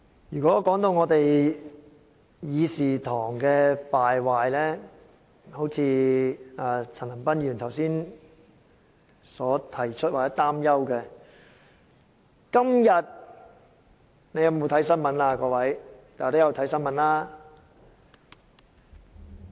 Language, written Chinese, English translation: Cantonese, 如果說到我們議事堂的敗壞，正如陳恒鑌議員剛才所提及或擔憂的，今天各位有否看新聞？, Talking about the decline of the Council as Mr CHAN Han - pan has just mentioned or is worried about have Members read the news today?